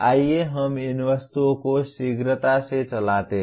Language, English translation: Hindi, Let us run through these items quickly